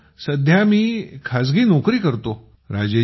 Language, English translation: Marathi, Sir, presently I am doing a private job